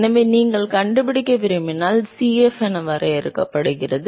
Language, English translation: Tamil, So, if you want to find Cf is defined as